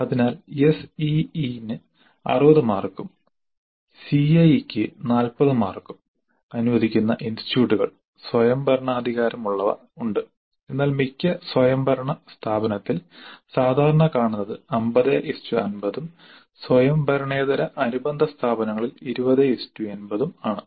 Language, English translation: Malayalam, So there are institutes autonomous which allocate 60 marks to a CE and 40 to CAE but a more common allocation in autonomous institute is 50 50 50 and non autonomous affiliated institutes is 2080